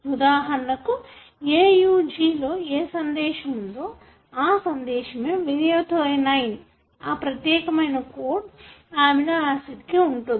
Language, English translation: Telugu, For example, the AUG triplet has got, the message that is methionine, it has to code for this particular amino acid